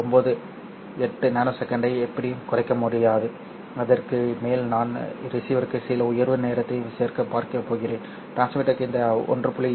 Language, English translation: Tamil, 98 nanosecond and on top of it I am going to add some rise time for the receiver and for the transmitter